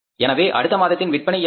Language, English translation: Tamil, So, what are the next month's sales